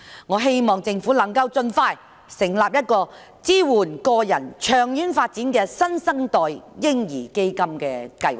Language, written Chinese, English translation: Cantonese, 我希望政府能夠盡快成立一個支援個人長遠發展的"新生代嬰兒基金"計劃。, I hope that the Government can set up promptly the New Generation Baby Fund program which will support the long - term development of individuals